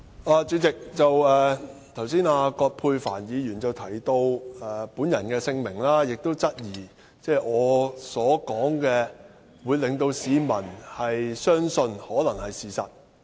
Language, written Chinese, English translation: Cantonese, 代理主席，葛珮帆議員剛才提到我的姓名，並質疑市民可能會相信我所說的話是事實。, Deputy President Dr Elizabeth QUAT has just mentioned my name and said that the public might believe what I said as true